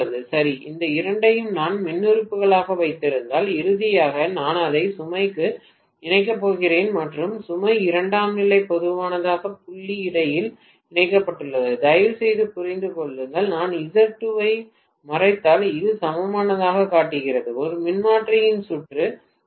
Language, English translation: Tamil, Okay So, if I have these two as the impedances and finally I am going to connect it to the load and the load is connected between the common point of the secondary, please understand that if I kind of hide Z2, this shows the equivalent circuit of a transformer 1